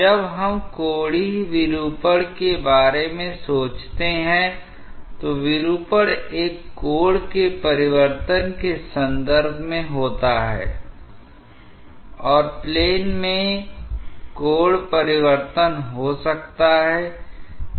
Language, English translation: Hindi, When we are think about angular deformation, the deformation is in terms of change of an angle and that angle change may take place in a plane